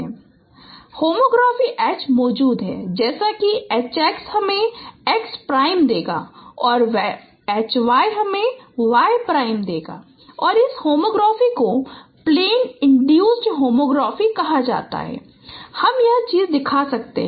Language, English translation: Hindi, So there exists homography H such that H X will give me X prime and H Y will give me Y prime and this homography is called plane induced homography